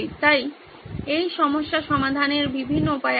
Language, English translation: Bengali, So several ways to solve this problem